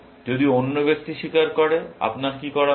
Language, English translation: Bengali, If the other person confesses, what should you do